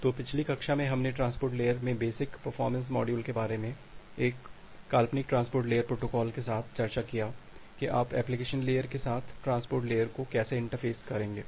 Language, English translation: Hindi, So, in the last class we have discussed about the basic performance modules in the transport layer along with a hypothetical transport layer protocol that how will you interface the transport layer with the application layer